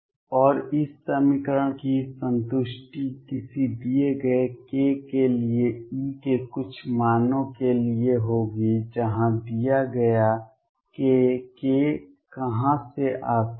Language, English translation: Hindi, And satisfaction of this equation will be for certain values of E for a given k where a given k, where does the k come from